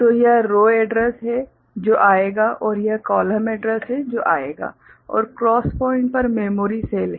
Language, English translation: Hindi, So, this is the row address that will come, and this is the column address that will come and at the cross point there is the memory cell